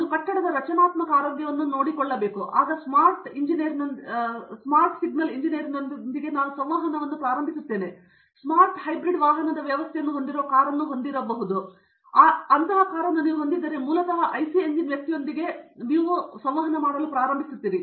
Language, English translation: Kannada, Suppose, I am monitoring the structural health of a building, I start interacting with a civil engineer okay, when I want to you have a car which as smart hybrid vehicle system, you start interacting with IC engine person to basically understand